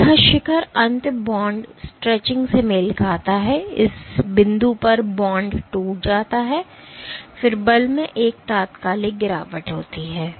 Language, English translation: Hindi, So, this peak end corresponds to bond stretching, at this point bond breaks and then there is an instantaneous drop in force